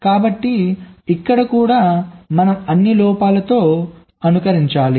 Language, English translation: Telugu, so here also we have to simulate with all the faults